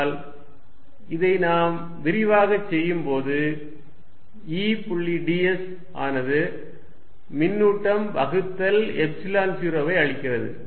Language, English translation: Tamil, But, let us do it explicitly anyway E dot ds gives me charge enclosed divided by Epsilon 0